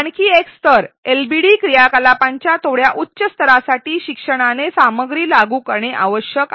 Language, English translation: Marathi, Another level a slightly higher level of LbD activities require the learner to apply the content